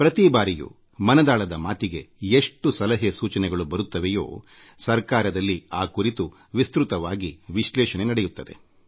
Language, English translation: Kannada, Every time the inputs that come in response to every episode of 'Mann Ki Baat', are analyzed in detail by the government